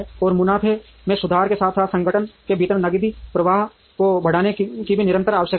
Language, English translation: Hindi, And there is also a constant need to improve the profits as well as to increase, the cash flow within the organization